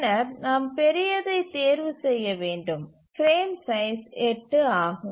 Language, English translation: Tamil, Then we need to choose the larger of the frame size, that is 8